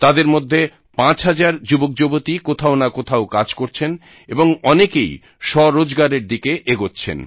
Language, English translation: Bengali, Out of these, around five thousand people are working somewhere or the other, and many have moved towards selfemployment